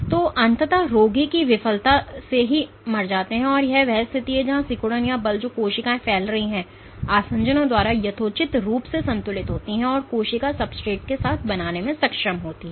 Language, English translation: Hindi, So, eventually patients die of organ failure and this is the case where contractility or the forces which the cells are exerting are reasonably balanced by the adhesions which the cell is able to form with the substrate